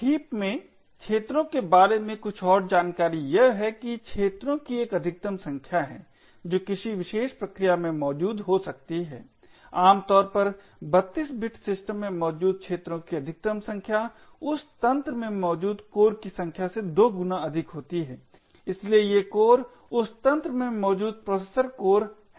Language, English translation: Hindi, there is a maximum number of arenas that can be present in a particular process typically in a 32 bit system the maximum number of arenas present is 2 times the number of cores present in that system, so these cores are the processor cores present in that system